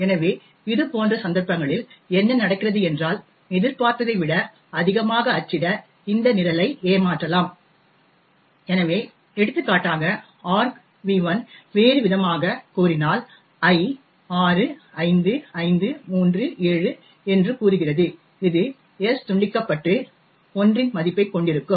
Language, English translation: Tamil, So what happens in such cases is that we can trick this program to print more than what is expected, so for example suppose we specify that argv1 in other words i is say 65537 this will cause s to get truncated and have the value of 1